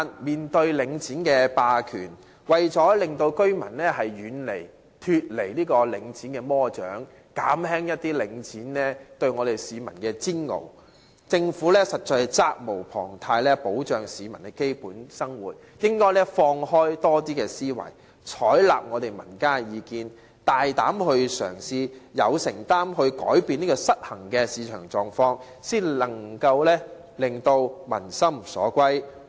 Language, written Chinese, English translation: Cantonese, 面對領展霸權，為了令居民可以脫離領展的魔掌，減輕領展對市民的煎熬，政府實在責無旁貸，需要保障市民的基本生活，應該開放思維，採納民間意見，大膽嘗試有承擔地扭轉市場的失衡狀況，這樣才可以令民心歸向政府。, Facing Link REITs hegemony to enable residents to break away from its evil control and release the public from its torture the Government is duty - bound to protect the peoples basic livelihood . It should adopt an open mindset and the views in the community and boldly commit itself to averting the imbalance in the market . Only then can the Government win the peoples heart